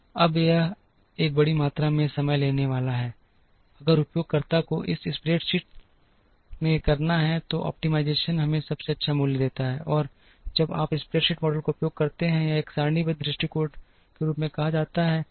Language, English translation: Hindi, Now, that is going to take enormous amount of time, if the user has to do it in a spreadsheet the optimization gives us the best value, and when you use the spreadsheet model or what is called as a tabular approach